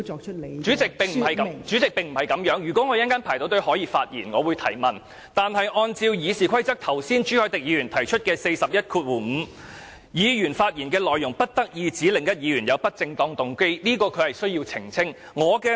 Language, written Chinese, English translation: Cantonese, 代理主席，並不是這樣子的，如果我稍後輪候得到可以發言，我會提問，但按照剛才朱凱廸議員提出的《議事規則》第415條，議員發言內容不得意指另一議員有不正當動機，這是代理主席需要澄清的。, Deputy President it is not like that at all . When my turn to speak comes I will raise my question . But according to Rule 415 of the Rules of Procedure mentioned by Mr CHU Hoi - dick just now a Member shall not impute improper motives to another Member and this is what the Deputy President needs to clarify